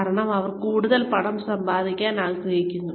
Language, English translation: Malayalam, Because, they want to make, even more money